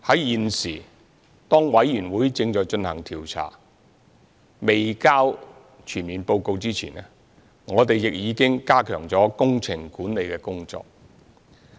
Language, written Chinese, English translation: Cantonese, 現時，當調查委員會正進行調查及提交全面報告前，我們已經加強工程管理的工作。, At present while the inquiry by the Commission is underway and before the submission of a full report we have already stepped up our efforts in project management